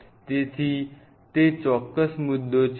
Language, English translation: Gujarati, So, that is precisely is the point